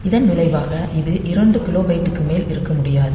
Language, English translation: Tamil, So, as a result so, it cannot be more than 2 kilobyte